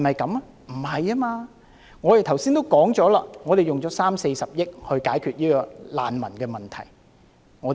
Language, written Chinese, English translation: Cantonese, 並非如此，我剛才也說了，政府用了三四十億元來解決難民的問題。, Not at all . As I said just now the Government has already spent some 3 billion to 4 billion on refugees